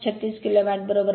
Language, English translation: Marathi, 36 kilo watt right